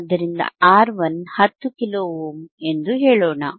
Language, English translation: Kannada, So, let us say R 1 is 10 kilo ohm